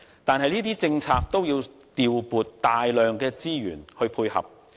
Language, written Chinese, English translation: Cantonese, 但是，這些政策均需要調撥大量的資源來配合。, Nevertheless such policies should be complemented by the allocation of large amount of resources